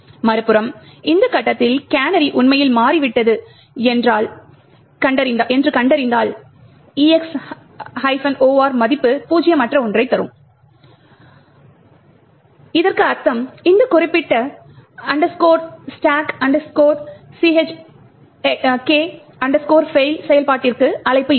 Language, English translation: Tamil, On the other hand, if at this point we detect that the canary has indeed changed it would mean that the EX OR value would return something which is non zero and then there would be a call to this particular function called stack check fail